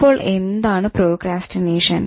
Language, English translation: Malayalam, Procrastination, what is it